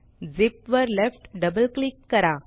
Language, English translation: Marathi, Left double click on the zip